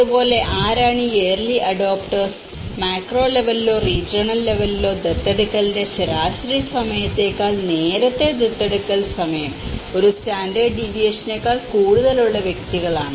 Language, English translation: Malayalam, And similarly, and who are these early adopters; these at a macro level or regional level these are the individuals whose time of adoption was greater than one standard deviation earlier than the average time of adoption